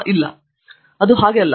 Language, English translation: Kannada, No, it is not like that